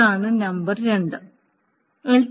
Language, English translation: Malayalam, That is number one